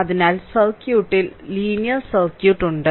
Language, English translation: Malayalam, So, in the circuit is linear circuit right